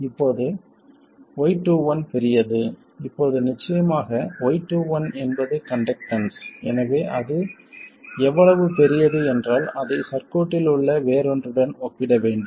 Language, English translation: Tamil, Now, Y2 is large, of course, Y2 is a conductance, so how large it is, it has to be compared to something else in the circuit